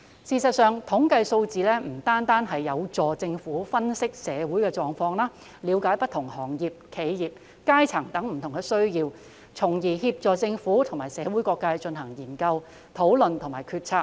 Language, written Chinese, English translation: Cantonese, 事實上，統計數字有助政府分析社會狀況，了解不同行業、企業、階層等的不同需要，從而協助政府及社會各界進行研究、討論及決策。, In fact statistics are conducive to the Governments analysis of the social condition and understanding of the needs of different trades enterprises strata etc thereby facilitating the research discussions and decision - making of the Government and different sectors of the community